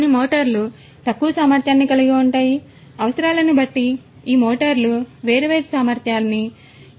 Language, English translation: Telugu, Some motors can be of lower capacity, depending on the requirements different capacity of these motors could be used for these UAVs